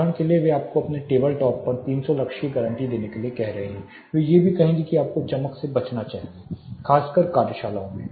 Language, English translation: Hindi, Say for example, there asking you to guarantee you have 300 lux on your table top, they will also say you should avoid glare especially in workshops